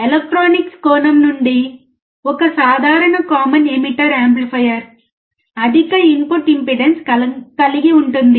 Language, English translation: Telugu, From electronics point of view, a common emitter amplifier has a high input impedance